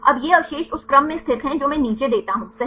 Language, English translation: Hindi, Now these residues are located in the sequence which I give below right